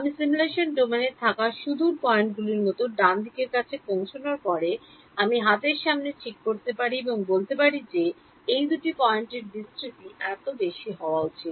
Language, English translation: Bengali, As I reach the rightmost like the two farthest points on the in the simulation domain I can fix before hand and say the dispersion form these two points should be no more than so much